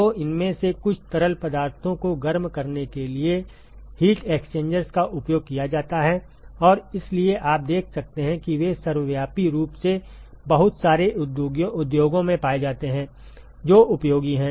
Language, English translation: Hindi, So, heat exchangers are used in order to heat some of these fluids and therefore, you can see that they are ubiquitously found in lot of industries which is useful